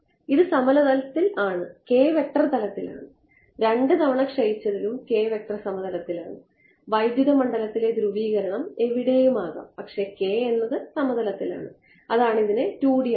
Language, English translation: Malayalam, It in the plane the k vector is in the plane in the 2 decays k vector is in the plane, the electric field polarization can be anywhere does not matter, but k is in the plane that is what makes it a 2D